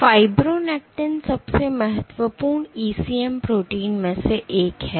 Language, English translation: Hindi, So, fibronectin is one of the most important ECM proteins